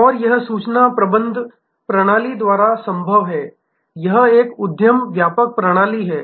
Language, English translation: Hindi, And that is possible by this information management system this is an enterprise wide system